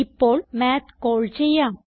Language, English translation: Malayalam, Now let us call Math